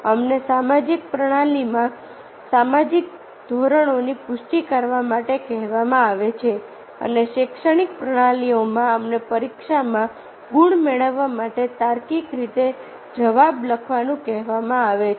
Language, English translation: Gujarati, we are asked in the social system to confirm to the social norms and in the educational system we are asked to write, answer logically to fetch marks in the exam